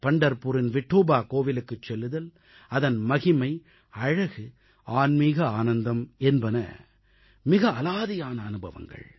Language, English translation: Tamil, Visiting Vithoba temple in Pandharpur and its grandeur, beauty and spiritual bliss is a unique experience in itself